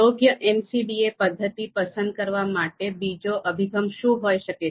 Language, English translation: Gujarati, Now what could be the other approach to select an appropriate MCDA method